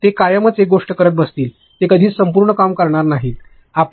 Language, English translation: Marathi, They will forever sit doing one thing, they will never finished the entire thing [FL]